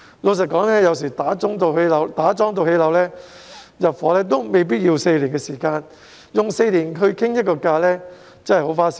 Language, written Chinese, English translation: Cantonese, 老實說，有時候由打樁至樓宇落成入伙也未必需要4年，所以花4年時間磋商價錢真的很花時間。, Frankly speaking sometimes it is not necessary for a building to take four years from piling to completion so it is indeed very time - consuming for the negotiation of land premium to take four years